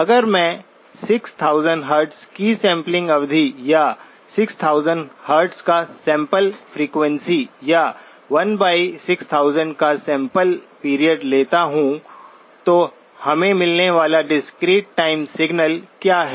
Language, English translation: Hindi, If I assume a sampling period of 6000 Hz, or sampling frequency of 6000 Hz or sampling period of 1 by 6000, what is the discrete time signal that we receive